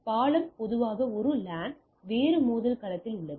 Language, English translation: Tamil, So, bridge typically a LAN is in a different collision domain